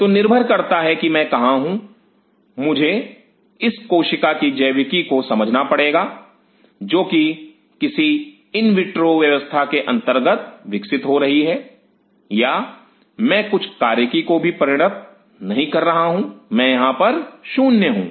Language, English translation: Hindi, So, depending on where am I; I have to understand the biology of this cell which is under growing in any in vitro setup or I am not even performing that function I am here 0